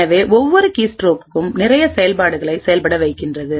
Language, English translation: Tamil, So, each keystroke results in a lot of execution that takes place